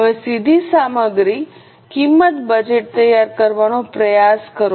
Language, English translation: Gujarati, Now same way try to prepare direct material cost budget